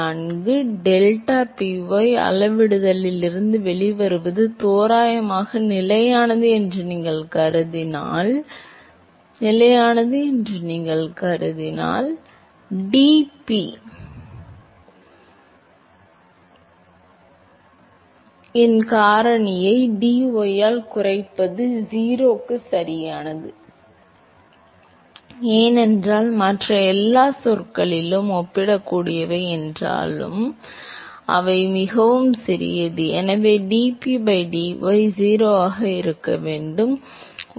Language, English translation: Tamil, No, if you assume that the deltaPy, which comes out from the scaling that it is approximately constant, then you put reduce into the factor of dP by dy is 0 right, because all the other terms, although they are comparable, but they are very very small and therefore, dP by dy has to be 0